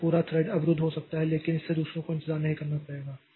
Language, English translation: Hindi, So, this part this whole thread may be blocked but that will not make others to wait